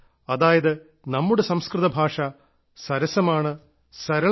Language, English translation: Malayalam, That is, our Sanskrit language is sweet and also simple